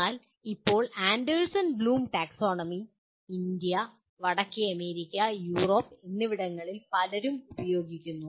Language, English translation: Malayalam, But at present Anderson Bloom Taxonomy is used by many in India, North America, and Europe